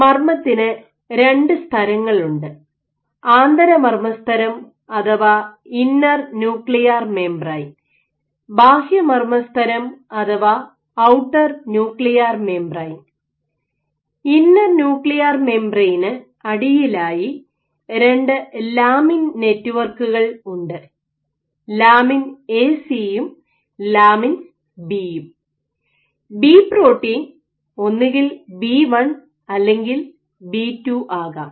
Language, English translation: Malayalam, So, in the nucleus, nucleus has two membranes inner nuclear membrane and outer nuclear membrane underneath the inner nuclear membrane you have these networks of two lamins, of two lamin networks lamin A/C and lamin B, B can be either B1 or B2 and AC is because of spice variant of the lamin in g and outside